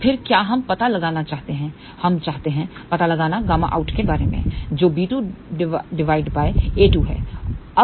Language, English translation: Hindi, So, again what we want to find out we want to find out gamma out is equal to b 2 by a 2